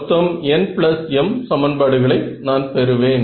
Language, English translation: Tamil, So, I will have n plus m equations total from